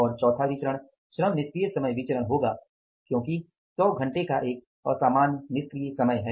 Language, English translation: Hindi, Fourth variance will be labour idle time variance because there is an abnormal idle time of 100 hours